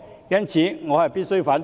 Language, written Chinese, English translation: Cantonese, 因此，我必須反對。, I therefore must oppose them